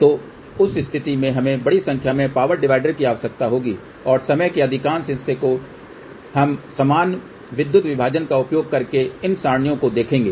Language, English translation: Hindi, So, in that case we will need large number of power dividers and majority of the time we feed these arrays using equal power division